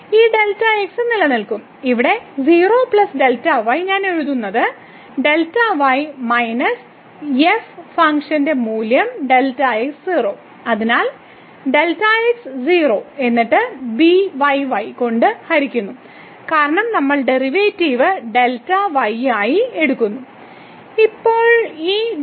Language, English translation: Malayalam, So, this delta will remain and here 0 plus delta which I am writing just delta and minus the function value at delta 0; so delta and 0 and divided by then delta , because we are taking the derivative with respect to delta